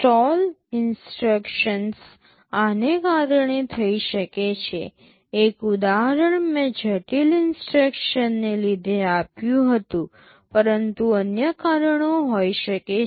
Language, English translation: Gujarati, Stall instructions can occur due to this, one example I gave because of a complex instructions, but there can be other reasons